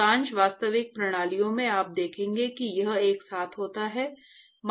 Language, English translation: Hindi, In most real systems, you will see that it occurs simultaneously